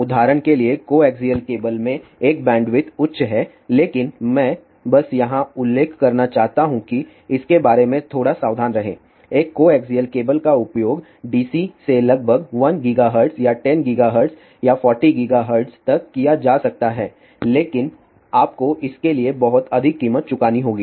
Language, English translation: Hindi, For example, coaxial cable has a bandwidth high, but I just want to mention herelittle bit be careful about it a coaxial cable can be used right from dc up to about 1 gigahertz or 10 gigahertz or even 40 gigahertz, but you have to pay lot of price for that